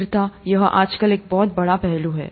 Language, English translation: Hindi, Sustainability, it's a very big aspect nowadays